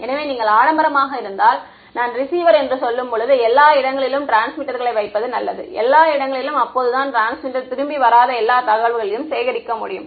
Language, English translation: Tamil, So, if you have the luxury it is better to put transmitters everywhere I mean receivers everywhere so that you can collect all of the information that does not come back to the transmitter